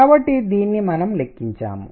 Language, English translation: Telugu, So, this we have calculated